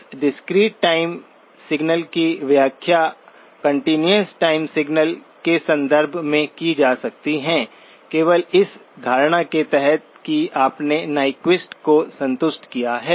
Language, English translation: Hindi, This discrete time signal can be interpreted in terms of a continuous time signal only under the assumption that you have satisfied Nyquist